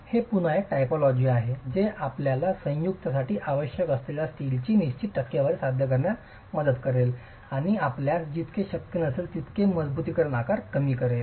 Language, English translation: Marathi, Again, this is again a typology that will help you achieve a certain percentage of steel that you require for the joint itself and minimize the size of the reinforcement as much as you can